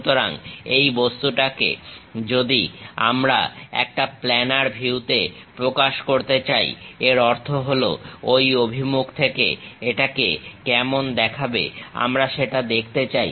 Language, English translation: Bengali, So, this object if we would like to represent as a planar view; that means, we would like to really visualize it from that direction how it looks like